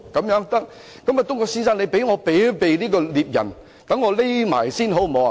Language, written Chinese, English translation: Cantonese, 狼說："東郭先生，請你幫我避開獵人，讓我躲藏起來，好嗎？, The wolf said Mr Dongguo can you please help me stay away from the hunter and let me hide somewhere?